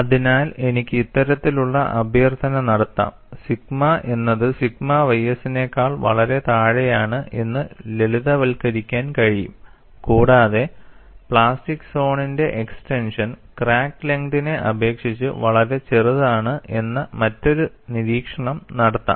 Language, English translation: Malayalam, So, I can invoke this kind of simplification by saying sigma is far below sigma ys and also make another observation, that the extension of plastic zone is much smaller compared to the crack length